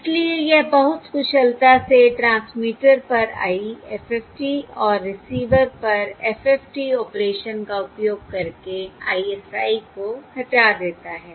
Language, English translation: Hindi, Therefore, it very efficiently removes ISI using simply the IFFT at the transmitter and the FFT operation at the receiver